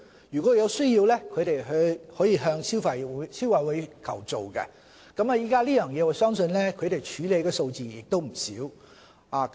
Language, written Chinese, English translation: Cantonese, 如果有需要，可以向消委會求助，我相信消委會處理這方面的數字亦不少。, Consumers can seek help from the Consumer Council if necessary . I believe the Consumer Council has handled many such cases before